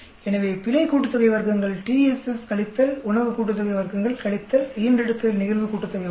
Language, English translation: Tamil, So, error sum of squares comes out to be TSS minus food sum of squares minus litter sum of squares